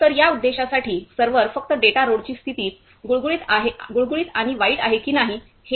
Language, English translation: Marathi, So, for this purpose here, the server is simply whether the data road condition is smooth and bad